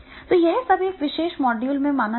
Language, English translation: Hindi, So, these all will be considered into this particular module